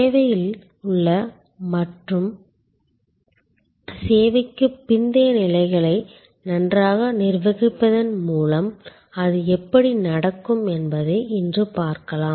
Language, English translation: Tamil, And let see today, how that can happen by managing the in service and the post service stages well